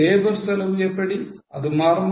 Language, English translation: Tamil, What about labour cost